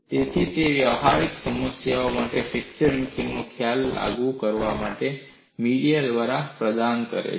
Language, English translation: Gujarati, So, it provides a via media to apply fracture mechanics concepts to practical problems